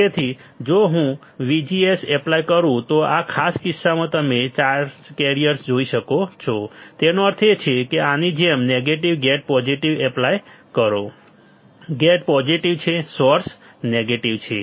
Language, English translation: Gujarati, So, in this particular case you see the charge carriers if I apply VGS; that means, like this and apply negative gate positive; gate is positive source is negative